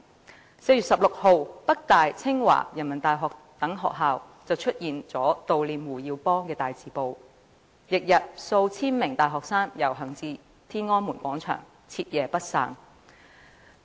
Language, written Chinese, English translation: Cantonese, 在4月16日，北京大學、清華大學及人民大學等大學出現悼念胡耀邦的大字報，翌日數千名大學生遊行至天安門廣場，徹夜不散。, On 16 April opinion posters were posted in the Peking University the Tsinghua University and the Renmin University of China in mourning of HU Yaobang . The next day thousands of university students marched to Tiananmen Square and stayed there overnight